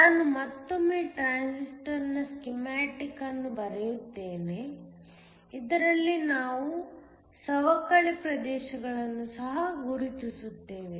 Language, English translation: Kannada, Let me again draw a schematic of the transistor, in this I will also mark the depletion regions